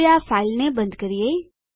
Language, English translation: Gujarati, Now lets close this file